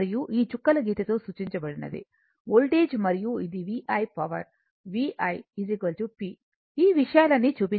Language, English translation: Telugu, And this is dash line is the voltage, and this is the V I and power v, i and p all these things are shown right